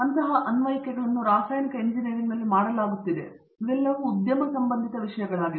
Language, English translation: Kannada, Such applications are being done even in chemical engineering and so all of these are industry relevant topics